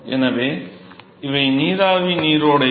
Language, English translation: Tamil, So these are the vapor streams